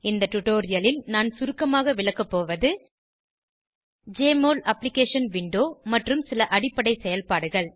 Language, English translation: Tamil, In this tutorial, I will briefly explain about: Jmol Application window and some basic operations